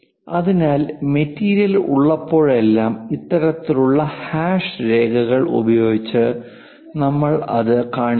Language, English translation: Malayalam, So, whenever material is there, we show it by this kind of hash lines